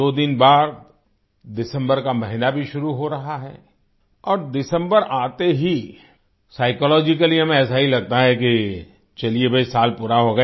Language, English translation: Hindi, Two days later, the month of December is commencing…and with the onset of December, we psychologically feel "O…the year has concluded